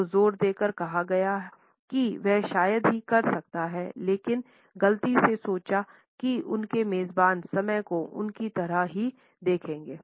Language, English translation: Hindi, So, stressed out he could hardly operate he mistakenly thought his hosts would look at time like he did